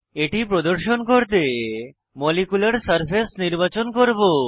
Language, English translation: Bengali, For demonstration purpose, I will select Molecular surface